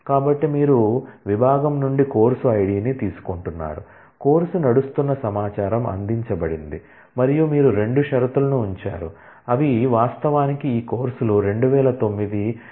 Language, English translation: Telugu, So, you are taking out the course id from section is where, the course running information is provided and you part putting 2 conditions, which say that they actually this courses ran in fall 2009